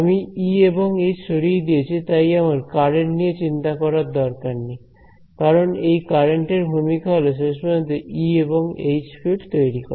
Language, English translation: Bengali, I removed the field E and H inside the thing I do not have to worry about this currents over here because the role of this currents finally, is to produce the fields E and H